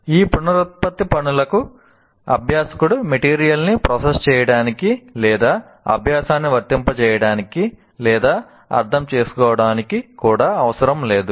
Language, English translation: Telugu, For example, these reproduction tasks do not require the learner to process the material or to apply the learning or even to understand it